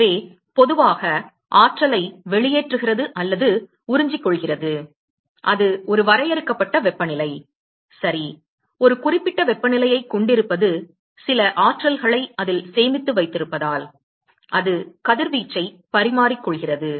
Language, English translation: Tamil, So, in general emits/absorbs energy simply by the virtue of it having a finite temperature ok, the fact that which has a certain temperature it has certain energies stored in it and therefore, it is exchanging radiation